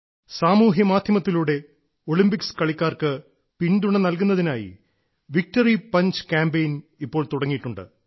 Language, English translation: Malayalam, On social media, our Victory Punch Campaign for the support of Olympics sportspersons has begun